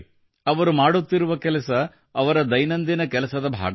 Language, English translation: Kannada, The tasks they are performing is not part of their routine work